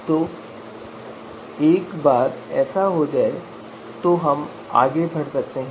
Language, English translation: Hindi, So once that is there then we can move forward